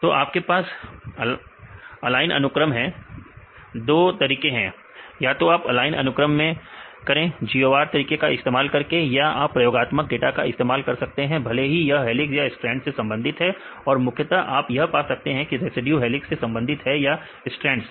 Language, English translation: Hindi, So, you have the aligned sequences, 2 ways we can do either in the aligned sequences use GOR method and then you use it or you can use the experimental data right whether, it belongs to helix or strand right the majority of what you can get to this residue belongs to helix or strand